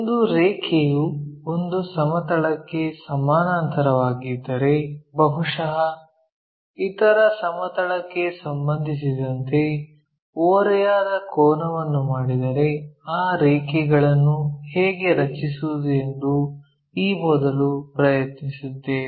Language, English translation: Kannada, In this earlier we try to look at, if a line is parallel to one of the plane perhaps making an inclination angle with respect to the other plane, how to draw those lines